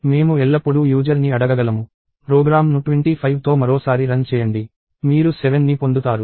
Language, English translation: Telugu, I can always ask the user – run the program once more with 25 in it; you get 7